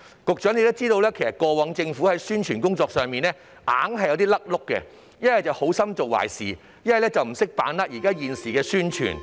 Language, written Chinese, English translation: Cantonese, 局長想必知道，過往政府的宣傳工作上總有錯漏，要不就是好心做壞事，要不就是不懂得把握時機宣傳。, As the Secretary may be aware there were always mistakes and omissions in the publicity work of the Government in the past . The Government had either turned a well - intentioned measure into a disservice or failed to grasp the opportunity to attract publicity